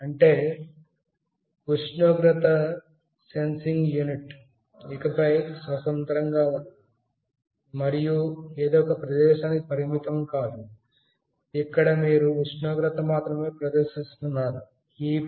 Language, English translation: Telugu, That means, the temperature sensing unit is not standalone anymore and not restricted to this particular place, where you are displaying the temperature only